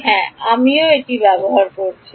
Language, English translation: Bengali, Yeah I am using the same